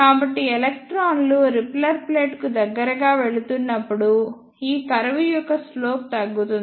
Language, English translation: Telugu, It means the velocity of this electron decreases as it moves closer to the repeller plate